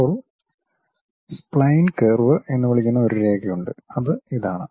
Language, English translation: Malayalam, Now, there is a line a spine curve which we call that is this one